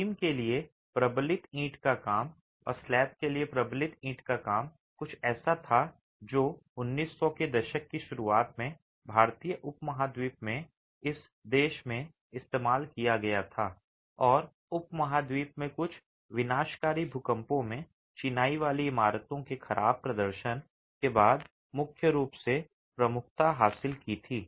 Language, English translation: Hindi, Reinforced brickwork for beams and reinforced brickwork for slabs was something that was in use in the early 1900s in this country in the Indian subcontinent and gained prominence primarily after poor performance of masonry buildings in some devastating earthquakes across the subcontinent